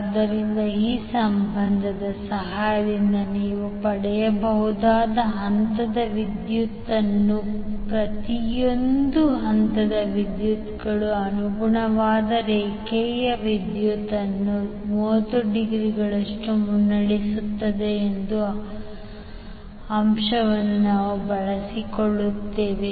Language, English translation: Kannada, So phase current you can obtain with the help of this relationship and we utilize the fact that each of the phase currents leads the corresponding line current by 30 degree